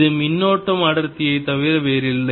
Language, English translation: Tamil, This is nothing but the current density